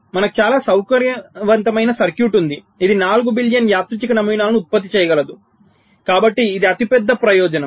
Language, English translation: Telugu, we have a very convenient circuit which can generate four billion random patterns